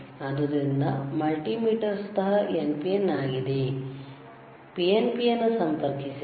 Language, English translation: Kannada, So, in the in the multimeter itself is NPN, PNP you have to connect it ok